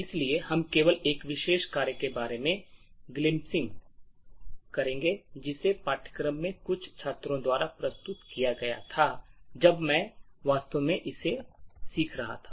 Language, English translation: Hindi, So, we will be just glimpsing about one particular assignment which was submitted by some of the students in the course when I was actually teaching it